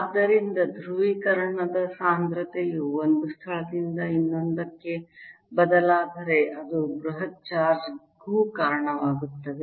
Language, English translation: Kannada, so if polarization density changes from one place to the other, it also gives rise to a bulk charge